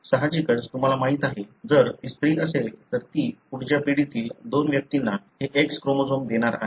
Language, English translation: Marathi, Obviously you know, if it is a female, then she is going to give this X chromosome to two individuals in the next generation